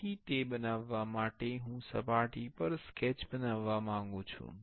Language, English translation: Gujarati, So, for making that, I want to make a sketch on the surface